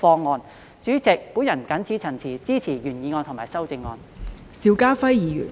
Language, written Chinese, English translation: Cantonese, 代理主席，我謹此陳辭，支持原議案和修正案。, Deputy President with these remarks I support the original motion and the amendment